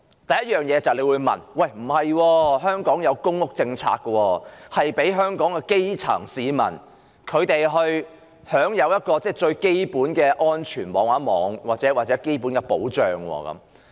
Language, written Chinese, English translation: Cantonese, 第一條路是公屋：你會說香港有公屋政策，讓香港的基層市民享有最基本的安全網及保障。, The first avenue is public housing You may say Hong Kong has put in place the public housing policy to provide the grassroots people here with the most fundamental safety net and safeguards